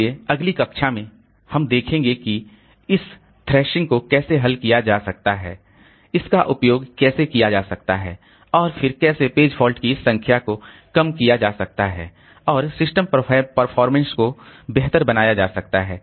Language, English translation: Hindi, So, in the next class we'll see how this thrashing can be solved, how it can be used for, how it can be solved and then this number of page faults can be reduced and system performance can be improved